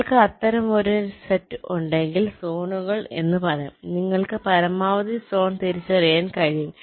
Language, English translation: Malayalam, so if you have ah set of such, you can say zones, you can identify the maximal zone